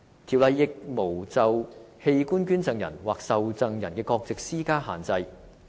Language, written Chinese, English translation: Cantonese, 《條例》亦沒有就器官捐贈人或受贈人的國籍施加限制。, Also the Ordinance imposes no restriction on the nationalities of organ donors or recipients